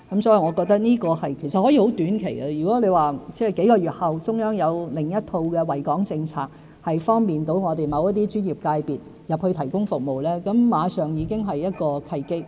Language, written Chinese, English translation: Cantonese, 這或可以短期內做到，如果數個月後中央有另一套惠港政策，能方便我們某些專業界別進入大灣區提供服務，馬上已經是一個契機。, This may be possible in the short term and if the Central Government puts in place another set of policies to benefit Hong Kong in a few months time to facilitate access of some of our professional sectors into GBA to provide services an opportunity will immediately appear